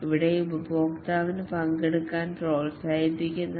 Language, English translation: Malayalam, Here the customer is encouraged to participate